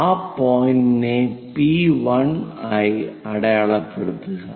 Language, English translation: Malayalam, Locate that point as P1